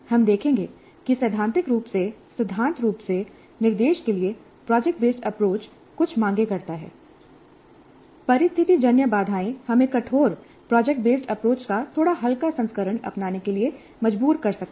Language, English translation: Hindi, We'll see that while in principle, in theory, project based approach to instruction makes certain demands, the situational constraints may force us to adopt a slightly lighter version of the rigorous project based approach